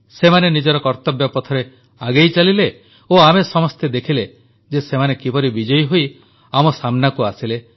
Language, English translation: Odia, They marched forward on their path of duty and we all witnessed how they came out victorious